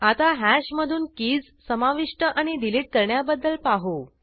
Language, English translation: Marathi, Now let us see add and delete of keys from hash